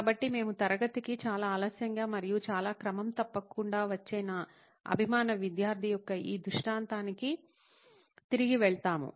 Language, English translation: Telugu, So we go back to this illustration of my favourite student who used to come very late to class and very regularly at that